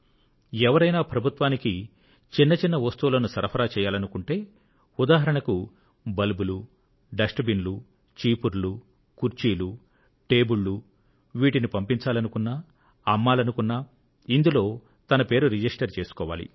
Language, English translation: Telugu, Whoever wants to supply any item to the government, small things such as electric bulbs, dustbins, brooms, chairs and tables, they can register themselves